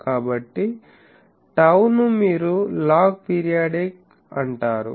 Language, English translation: Telugu, So, tau is called the log period you will see this